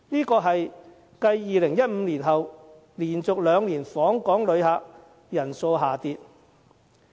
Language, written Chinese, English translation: Cantonese, 這是繼2015年後連續兩年訪港旅客人數下跌。, That was also the second consecutive year after 2015 which recorded a fall in the number of visitor arrivals